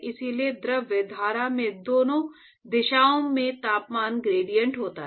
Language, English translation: Hindi, So, therefore, in the fluid stream there is a temperature gradient in both directions